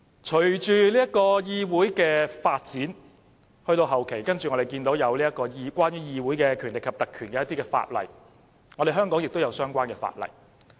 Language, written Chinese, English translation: Cantonese, 隨着議會的發展，到了後期，我們看見關於議會權力及特權的法例，香港亦有相關法例。, As time went by and with the development of the parliamentary system we have witnessed the introduction of legislation on parliamentary powers and privileges in recent history . Hong Kong adopts similar legislation too